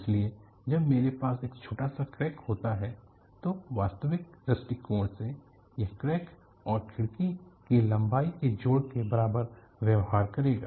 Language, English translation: Hindi, So, when I have a small crack, from an actual point of view, it will behave like a crack plus link of the window